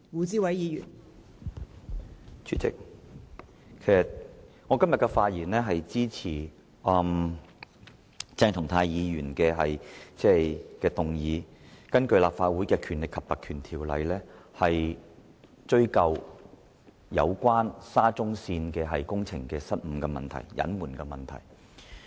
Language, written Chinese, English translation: Cantonese, 代理主席，我今天發言支持鄭松泰議員根據《立法會條例》動議的議案，以追究有關沙田至中環線工程失誤及隱瞞的問題。, Deputy President today I speak in support of the motion moved by Dr CHENG Chung - tai under the Legislative Council Ordinance to pursue the blunders and concealment relating to the Shatin to Central Link SCL project